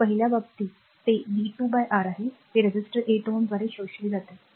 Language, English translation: Marathi, So, in the first case, the that is v square by R, that is power a absorbed by the resistor 8 ohm